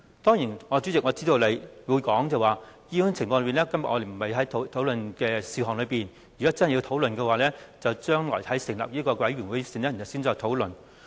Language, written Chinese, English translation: Cantonese, 當然，主席，我知道你會指出這不屬於我們今天討論的事項，如果真的要討論，應該留待將來成立調查委員會後再討論。, Of course President I know that you may say this is not within the scope of our discussion today and if this really has to be discussed we should leave it to the investigation committee to be set up in future